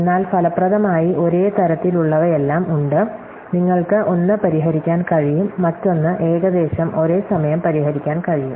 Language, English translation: Malayalam, But effectively there all of the same type, you can solve one, you can solve the other in roughly the same amount of time